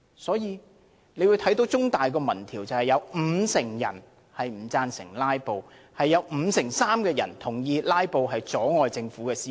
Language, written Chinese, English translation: Cantonese, 香港中文大學的一項民調指出，有五成人不贊成"拉布"，有五成三的人同意"拉布"阻礙政府施政。, According to an opinion poll conducted by The Chinese University of Hong Kong 50 % of the respondents do not support filibustering and 53 % agree that filibustering has impeded effective governance